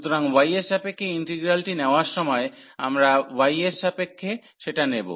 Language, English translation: Bengali, So, while taking the integral with respect to y, we will take so with respect to y